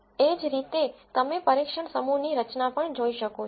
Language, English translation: Gujarati, Similarly you can also look at the structure of the test set